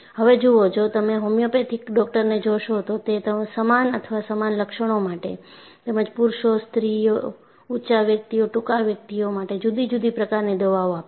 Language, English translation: Gujarati, See, if you look at a homeopathic doctor, for the same or similar symptoms, they will give different medicines for men, women, tall person, short person